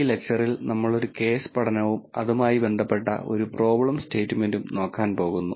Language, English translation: Malayalam, In this lecture we are going to look at a case study and a problem statement associated with it